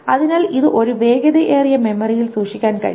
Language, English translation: Malayalam, So it can be stored in a faster memory